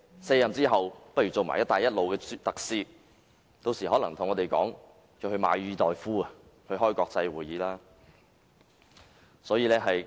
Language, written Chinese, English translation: Cantonese, 卸任後他大可出任"一帶一路"特使，屆時他可能會向我們申請撥款，前往馬爾代夫舉行國際會議。, After his departure from office he may well become a Belt and Road commissioner and by then he may apply to us for funding to attend an international conference in Maldives